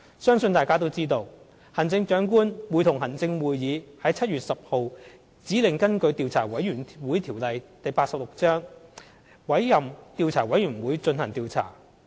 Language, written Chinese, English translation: Cantonese, 相信大家都知道，行政長官會同行政會議於7月10日指令根據《調查委員會條例》委任調查委員會進行調查。, I believe Members know that the Chief Executive - in - Council has appointed a Commission of Inquiry to investigate construction problems at Hung Hom Station on SCL on 10 July under the Commissions of Inquiry Ordinance